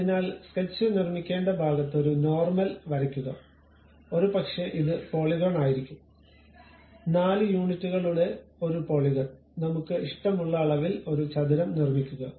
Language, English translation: Malayalam, So, first construct a normal to that at this location go to Sketch, maybe this is the Polygon; a polygon of 4 units I would like four sides I would like to have square